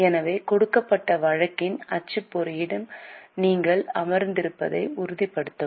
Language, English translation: Tamil, So, please ensure that you are sitting with the printout of the given case